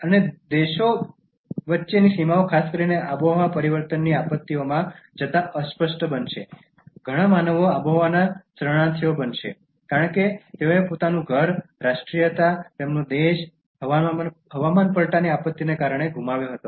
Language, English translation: Gujarati, And boundaries between countries will blur going to particularly climate change disasters, many human beings will become climate refugees, because they lost their home, their nationality, their country because of climate change disaster